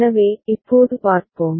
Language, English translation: Tamil, So, now, let us see